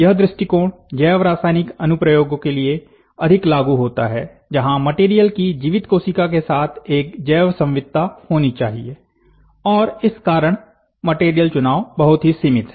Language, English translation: Hindi, This approach may be more applicable to biochemical applications, where material must have a biocompatibility with living cell and so, choice of material is very restricted, this is more bio applications